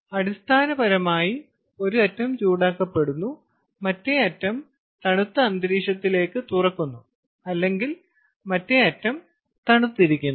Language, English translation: Malayalam, ok, so essentially, one end is heated, the other end is exposed to a colder ambient or other other end is kind of cooled